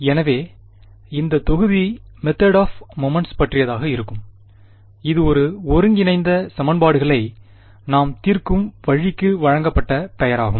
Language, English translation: Tamil, So this module is going to be about the method of moments which is the name given to the way in which we solve the integral equations